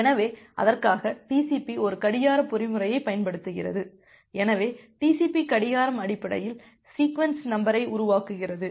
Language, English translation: Tamil, So, for that, TCP uses a clocking mechanism, so TCP generates the sequence number based on a clock